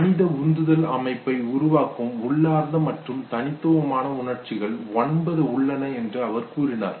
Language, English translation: Tamil, Who said there are nine innate and unique emotions that produce the main human motivational system